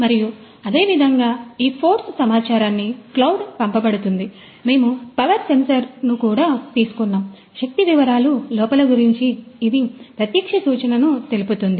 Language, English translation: Telugu, And this force data is sent to the cloud similarly, we have also acquired the power sensor, power is a direct and the power it has got the direct indication about the defects